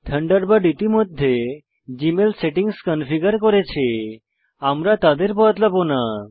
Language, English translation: Bengali, As Thunderbird has already configured Gmail settings correctly, we will not change them